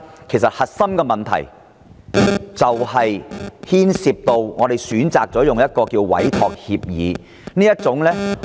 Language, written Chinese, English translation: Cantonese, 其實，問題的癥結在於政府選擇採用委託協議的方式進行。, In fact the crux of the problem lies in the Governments choice of entering into entrustment agreements with MTRCL